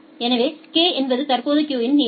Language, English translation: Tamil, So, k is the current queue length